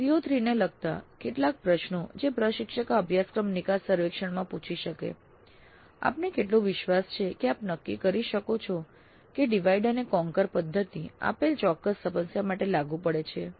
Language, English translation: Gujarati, Some questions specific to CO3 that instructor can ask in this course exit survey would be how confident do you feel that you can determine if divide and conquer technique is applicable to a given specific problem